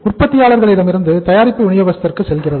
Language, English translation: Tamil, The product from the manufacturer it goes to distributor